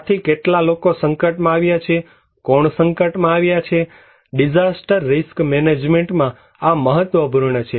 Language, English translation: Gujarati, So, how many people are exposed, who are exposed, these are important in disaster risk management